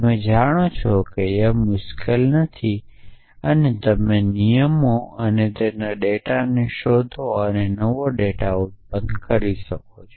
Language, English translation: Gujarati, So, you know matching is not even hard and you can keep looking for rules and matching data and keep producing new data